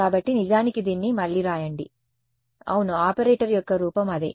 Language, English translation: Telugu, So, actually write it again yeah the form of the operator is the same